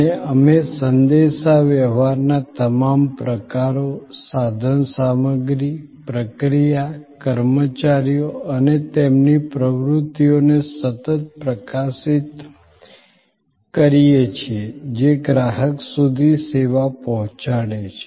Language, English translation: Gujarati, And we continuously highlight in all forms of communication, the equipment, the procedure, the employees and their activities that bring the service to the consumer